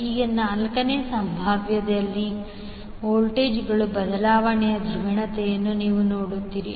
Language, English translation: Kannada, Now, in the 4th case, you will see the polarity for voltages change